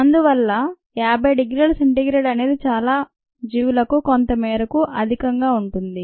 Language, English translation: Telugu, so fifty degree c is some what high for most organisms